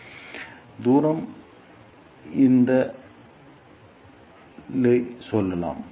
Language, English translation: Tamil, So, let us say that distance is this L e